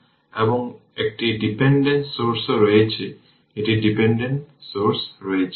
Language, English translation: Bengali, And one dependent source is also there, one dependent source is there